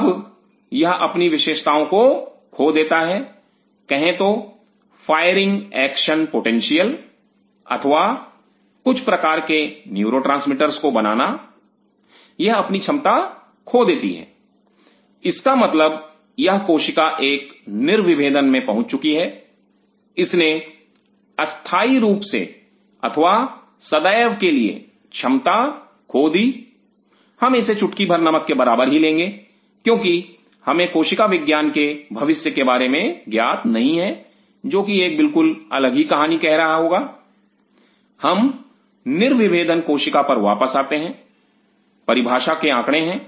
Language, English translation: Hindi, Now this loses it is characteristics of say Firing action potentials or Producing certain kind of neurotransmitters it loses it is ability; it means this cell has reached a de differentiation it has forgot10 or it has lost permanently well this part we will kind of keep we will take it with a bench of salt because we do not know the future of cell biology may tell a totally different story that we can again get back de differentiated cell back into all it is definition statistics